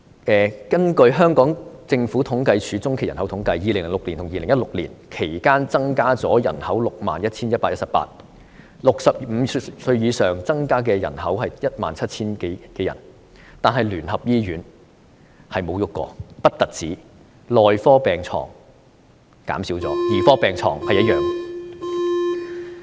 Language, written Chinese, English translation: Cantonese, 根據政府統計處中期人口統計，在2006年至2016年期間，人口增加了 61,118 人，當中65歲以上增加的人口是 17,000 多人，然而聯合醫院不但沒有改變，內科病床數目更減少了，兒科病床數目則保持不變。, According to the population by - census conducted by the Census and Statistics Department in the period from 2006 to 2016 the population has grown by 61 118 and over 17 000 of them were people above 65 years of age . However the United Christian Hospital has remained unchanged at all worse still its number of beds in the medical wards is even reduced while the number of beds in the paediatric wards remains the same